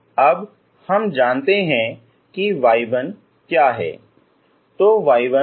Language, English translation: Hindi, Now we know what is y 1